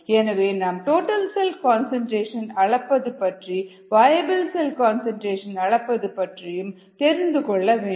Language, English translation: Tamil, so we need to know that there is a total cell concentration measurement and a viable cell concentration measurement